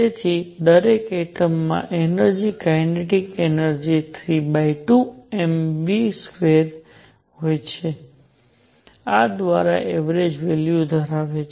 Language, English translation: Gujarati, So, each atom has energies kinetic energy is 3 by 2 m v square which average value by this